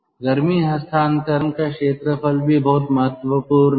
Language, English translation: Hindi, the area ah of the of heat transfer, that is also very important